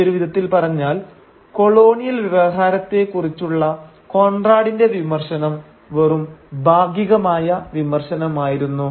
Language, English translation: Malayalam, In other words, Conrad’s criticism of the colonial discourse was at best a partial criticism